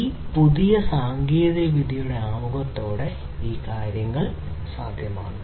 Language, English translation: Malayalam, So, all these things are possible with the introduction of all these new technologies